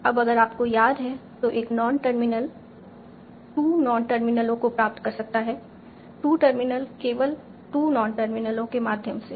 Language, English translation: Hindi, Now if you remember, a single non terminal can derive two non terminals only via two non terminals